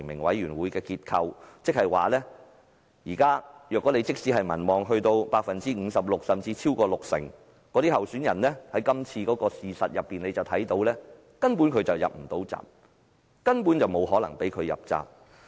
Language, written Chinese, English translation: Cantonese, 換言之，即使參選人的民望高達 56% 甚至超過六成，但從今次事件不難發現，他始終無法入閘，亦根本不會讓他入閘。, In other words even if the person seeking nomination has a popularity rating as high as 56 % or even over 60 % as evident from the present election he will not be able to run for the election and he simply will not be allowed to enter the race